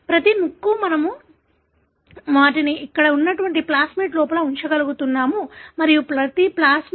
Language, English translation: Telugu, Each piece of the, we are able to put them inside a plasmid like here and each plasmid we are able to put inside E